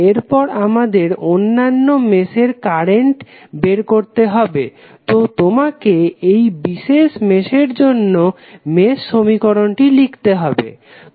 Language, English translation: Bengali, We have to next find out the current in other mesh, so you have to just write the mesh equation for this particular mesh